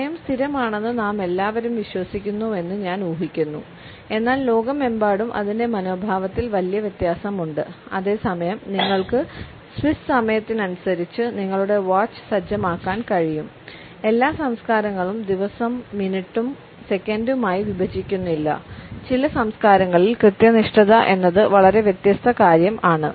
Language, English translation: Malayalam, I guess we all believe that time is pretty constant, but around the world attitudes to it differ greatly, while you can set your watch by Swiss trains not all cultures break the day down into minutes and seconds for other cultures punctuality is a very different matter